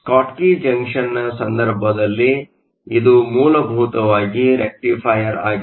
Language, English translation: Kannada, So, In the case of a Schottky junction which is essentially a rectifier